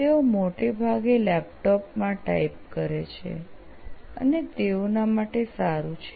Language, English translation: Gujarati, They mostly type in the laptops and things are good for them